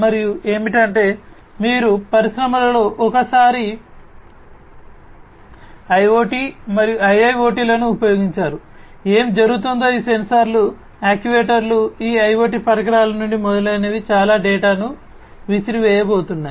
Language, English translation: Telugu, The other one is that once you have used IoT and IIoT, etcetera in the industries; what is happening is these sensors actuators, etcetera from these IoT devices are going to throw in lot of data